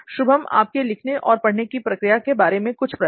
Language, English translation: Hindi, Shubam, just a few questions on writing and how you learn and everything